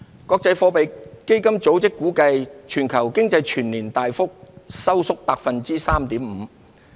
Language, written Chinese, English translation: Cantonese, 國際貨幣基金組織估計，全球經濟全年大幅收縮 3.5%。, The International Monetary Fund IMF estimated that the global economy contracted significantly by 3.5 % for the year as a whole